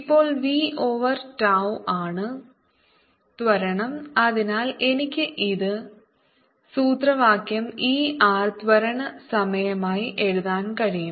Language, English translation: Malayalam, now v over tau is the acceleration and therefore i can write this formula as e r acceleration times t sin theta over c